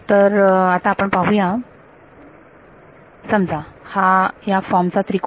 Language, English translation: Marathi, So, let us let us consider a triangle of this form ok